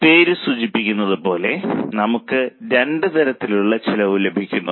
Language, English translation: Malayalam, Now, as the name suggests, we get two types of cost